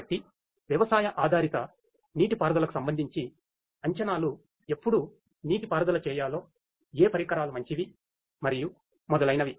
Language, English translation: Telugu, So, predictions with respect to farm based irrigation you know when to irrigate what to irrigate which equipments will be better and so on